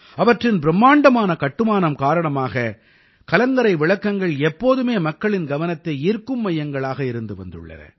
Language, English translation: Tamil, Because of their grand structures light houses have always been centres of attraction for people